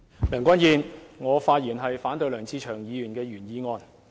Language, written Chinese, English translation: Cantonese, 梁君彥，我發言反對梁志祥議員的原議案。, Andrew LEUNG I speak in opposition to the original motion raised by Mr LEUNG Che - cheung